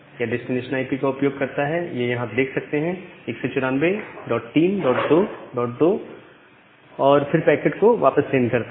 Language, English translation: Hindi, It uses the destination IP as this is 194 dot 3 dot 2 dot 2 and send that packet back